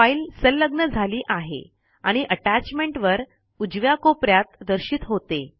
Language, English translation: Marathi, The file is attached and the attachment is displayed at the top right corner.Click Send